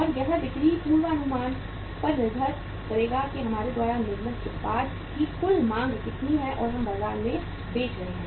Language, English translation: Hindi, And that will depend upon the sales forecasting that how much is going to be the total demand of the product we have manufactured and we are selling in the market